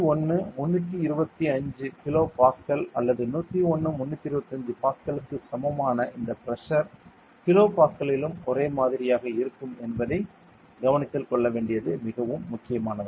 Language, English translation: Tamil, It is very important to note that this pressure that is 101 325 kilo Pascal or is equal to 101 325 Pascal is the same just in the kilo Pascal